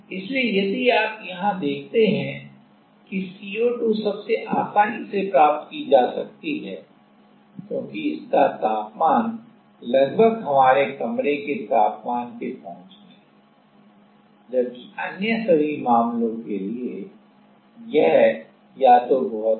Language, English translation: Hindi, So, if you see here CO2 is most achievable, because the temperature is almost in the our room temperature area, where as for the other all the other cases, it is either very high or very low